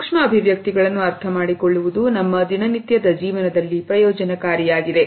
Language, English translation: Kannada, Understanding micro expressions is beneficial in our day to day life